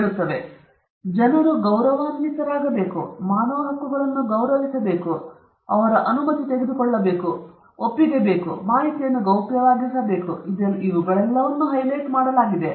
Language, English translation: Kannada, So, people have to be respected, their human rights have to be respected, their permission has to be taken, their consent has to be taken, their information have to be kept confidential all these things are highlighted